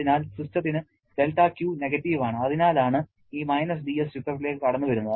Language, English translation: Malayalam, So, del Q is negative for the system and that is why this –dS is coming into picture